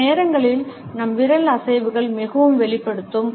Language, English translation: Tamil, Sometimes our finger movements can be very revealing